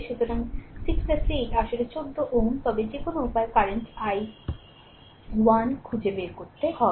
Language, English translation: Bengali, So, 6 plus 8 is actually 14 ohm, but any way you have to find out the current i 1